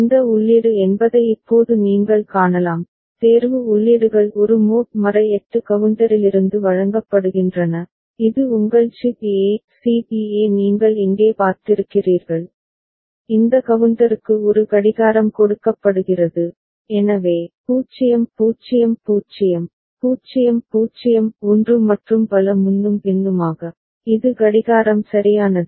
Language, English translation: Tamil, Now you can see there this input is, selection inputs are fed from the, from a mod 8 counter alright which is your C B A; C B A you have seen here and a clock is fed to this counter, so, 0 0 0, 0 0 1 and so on and so forth so, this is the clock right